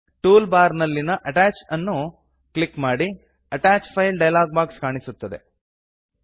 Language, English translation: Kannada, From the toolbar, click Attach.The Attach Files dialog box opens